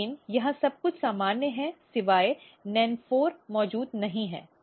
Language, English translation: Hindi, So, here everything is normal except NEN4 is not present